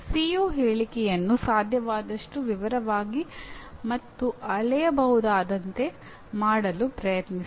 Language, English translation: Kannada, Put in effort to make the CO statement as detailed as possible and measurable